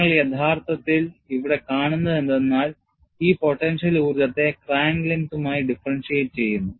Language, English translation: Malayalam, And, what you are actually seeing here is, this potential energy is differentiated with respect to the crack length